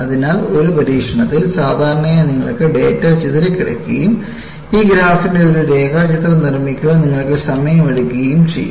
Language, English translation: Malayalam, So, in an experiment, normally, you will have scatter of data and you take your time to make a sketch of this graph